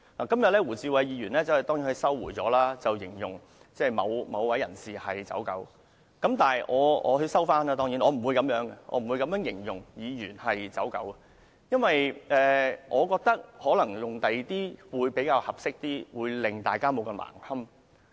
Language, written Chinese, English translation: Cantonese, 今天胡志偉議員當然收回了把某位人士形容為"走狗"的言論，當然，我不會把議員形容為"走狗"，因為我覺得可能用其他字眼會較為合適，大家不會太難堪。, Today Mr WU Chi - wai has of course taken back his words of depicting someone as a liveried flunkey and I of course will not describe Members as flunkies because I think it might be more appropriate to use adjectives other than this term in order not to cause too much embarrassment